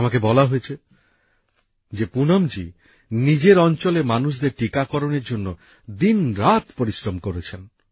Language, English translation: Bengali, I am given to understand that Poonam ji has persevered day and night for the vaccination of people in her area